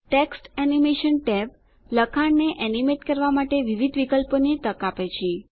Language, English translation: Gujarati, The Text Animation tab offers various options to animate text